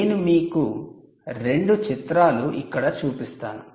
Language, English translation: Telugu, i show you two pictures here